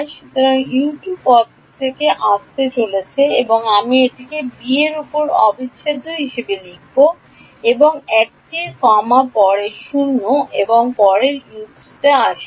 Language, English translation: Bengali, So, U 2 term is going to come from A I will write it as integral over b and 1 comma 0 next comes U 3